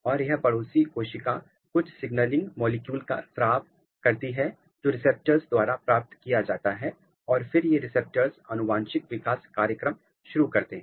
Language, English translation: Hindi, And, this neighboring cell they secrete a some kind of signaling molecule which is received by the receptors and then these receptors they initiate a kind of genetic developmental program, a developmental program which is important